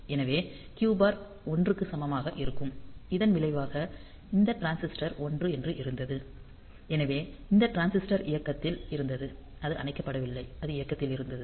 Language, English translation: Tamil, So, Q bar was equal to 1; as a result this transistor we had a 1 here; so, this transistor was on, so it is not off; it was on